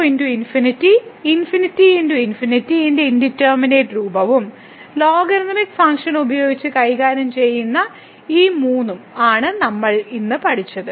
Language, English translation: Malayalam, So, what we have learnt today the indeterminate form of 0 into infinity infinity into infinity and these three which were handle using the logarithmic function